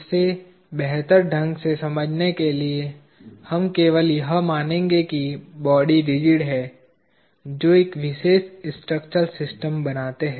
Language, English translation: Hindi, Inorder to understand it better, we will just assume that the bodies are rigid that make up a particular structural system